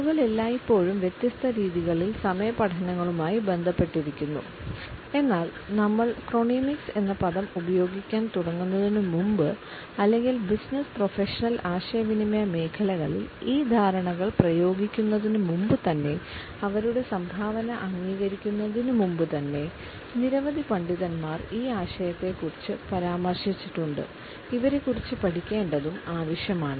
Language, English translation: Malayalam, People have always been associated with studies of time in different ways, but before we started using the term chronemics or even before we apply these understandings in the area of business and professional communication, a number of scholars have to be listed to acknowledge their contribution for the development of this idea